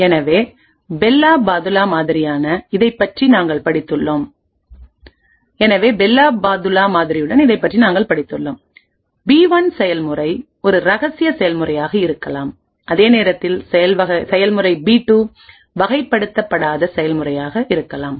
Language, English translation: Tamil, So, relating this to the Bell la Padula model that we have studied process P1 may be a top secret process while process P2 may be an unclassified process